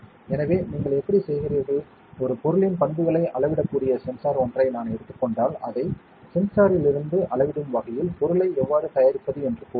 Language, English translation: Tamil, So, how do you, so let us say if I take a sensor that can measure properties of a material how do you prepare the material, so that it can measure from the sensor